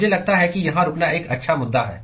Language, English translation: Hindi, I think it is a good point to stop